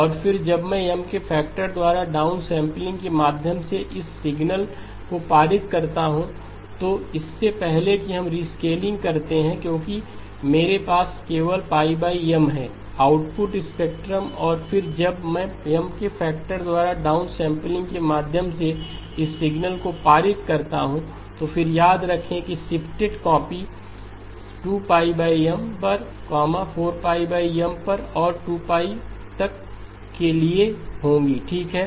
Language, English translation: Hindi, And then when I pass this signal through a downsampling by a factor of M then the output spectrum before we do the rescaling because I have only pi over M, then remember there will be shifted copies at 2pi over M, at 4pi over M and so on all the way to 2pi okay